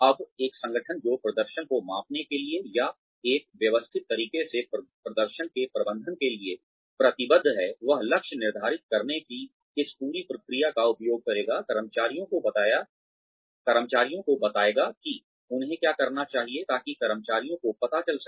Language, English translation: Hindi, Now, an organization that is committed to measuring performance, or to managing performance, in a systematic manner, will also use this whole process of setting targets, telling the employees, what they should be doing, in order to find out, where employees are going to need training